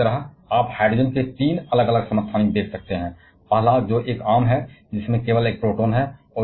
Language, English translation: Hindi, Like here you can see 3 different isotopes of hydrogen, the first one which is a common one which has only a single proton